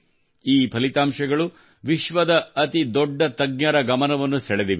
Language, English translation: Kannada, These results have attracted the attention of the world's biggest experts